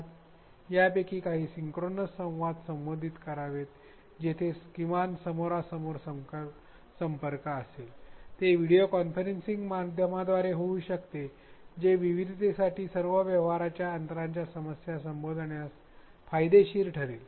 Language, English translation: Marathi, So, inserting a few of these synchronous interactions where there is at least some face to face contact, it could be a via VC medium that is again known to be beneficial to address diversity as well as the transactional distance